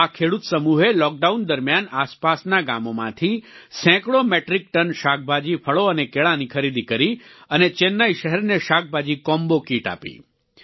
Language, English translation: Gujarati, This Farmer Collective purchased hundreds of metric tons of vegetables, fruits and Bananas from nearby villages during the lockdown, and supplied a vegetable combo kit to the city of Chennai